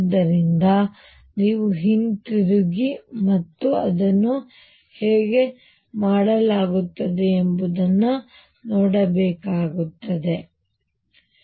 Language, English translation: Kannada, So, you may have to go back and see how it is done